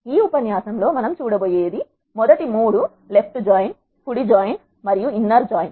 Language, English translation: Telugu, In this lecture, what we have going to see are the first 3 left join, right join and inner join